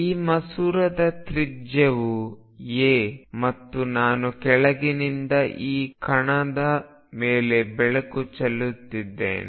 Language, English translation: Kannada, And the radius of this lens is a and I am shining light on this particle from below